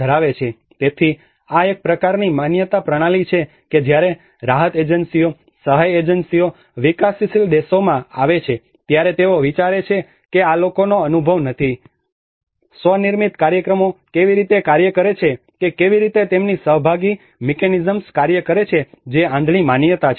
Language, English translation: Gujarati, So this is a kind of belief system that when the relief agencies, aid agencies come to the developing countries, they think that these people does not have an experience how the self built programs work how their participatory mechanisms work that is the blind belief